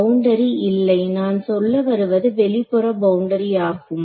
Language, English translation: Tamil, No boundary I mean the outermost boundary